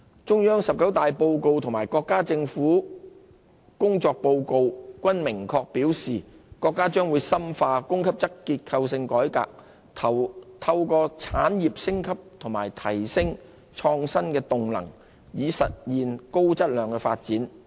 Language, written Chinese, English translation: Cantonese, 中央"十九大報告"及國家政府工作報告均明確表示，國家將深化供給側結構性改革，透過產業升級及提升創新動能，以實現高質量發展。, As stated clearly in both the report of the 19 National Congress of the Chinese Communist Party of China and the Report on the Work of the Government the Central Government will deepen supply - side structural reform and achieve high - quality development through industry upgrades and bolstering of innovation as an economic driver